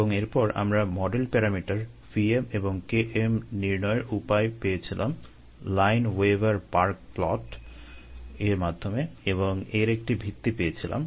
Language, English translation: Bengali, and then we found out ah, a way to find out the model parameters v m and k m by the lineweaver burk plot and the bases for that, and we also did some practice problems